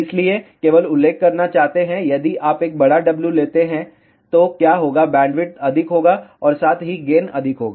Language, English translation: Hindi, So, just want to mention, if you take a larger W, then what will happen bandwidth will be more as well as gain will be more